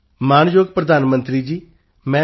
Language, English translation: Punjabi, "Respected Prime Minister Sir, I am Dr